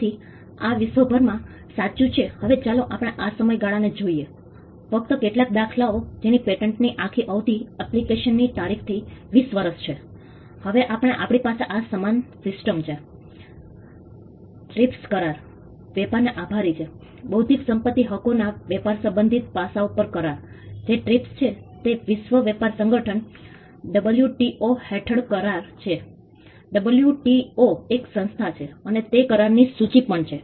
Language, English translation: Gujarati, So, this is true across the globe now let us look at the duration just a few examples today across the globe duration of a patented is 20 years from the date of application and now we have this uniform system thanks to the trips agreement, the trade agreement on the trade related aspects of intellectual property rights; which is trips are which is an agreement under the world trade organization WTO, WTO is an organization and it is also list of agreements